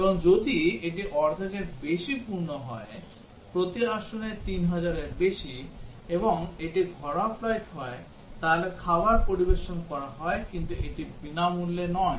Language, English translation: Bengali, And if it is more than half full, more than 3000 per seat, and it is domestic flight then meals are served, but that is not a free meal